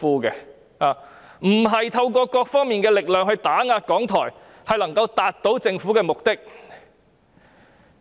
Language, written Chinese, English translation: Cantonese, 他們不應透過各方面的力量打壓港台，以為這樣便能夠達到政府的目的。, They should not suppress RTHK through various forces and think that this can fulfil the Governments intention . RTHKs performance in the past year commanded worldwide recognition